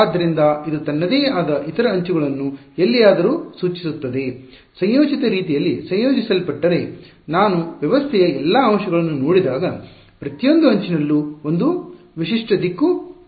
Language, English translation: Kannada, So, this guy will have its own other edges pointed any where, combined in the combined way when I look at all the elements of the system every edge will have a unique direction